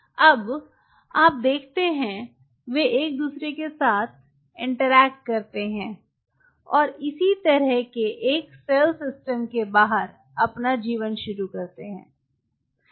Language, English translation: Hindi, so now they are kind of cross talking with each other and this is how a cell initiates it: live outside the system